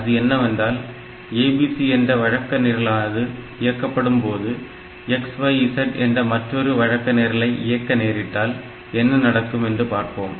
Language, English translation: Tamil, So, whenever you are within the routine ABC if there is another call called to another routine XYZ